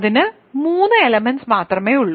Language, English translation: Malayalam, So, it has only 3 elements right